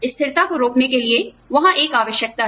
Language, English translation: Hindi, To prevent the stagnancy, there is a requirement